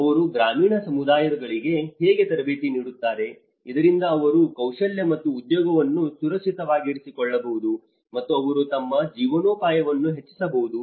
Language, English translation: Kannada, How they train the rural communities so that they can also secure skill as well as the employment and they can enhance their livelihoods